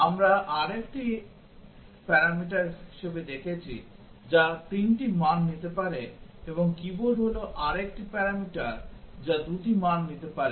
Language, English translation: Bengali, We have screen as another parameter which can take 3 values and keyboard is another parameter which can take 2 values